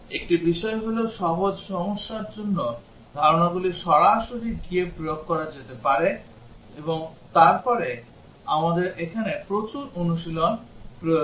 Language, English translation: Bengali, One thing is that for simple problems, the concepts are can be applied in straight forward, but then we need lot of practice here